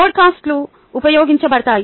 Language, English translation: Telugu, podcasts are have been used